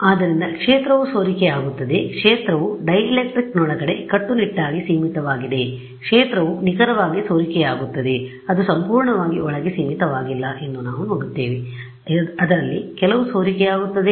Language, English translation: Kannada, So, the field does leak out it is not the case that the field is strictly confined within the dielectric the field does leak out exact we will see it is not confined purely inside some of it does leak out